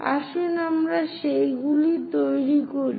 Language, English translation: Bengali, Let us construct those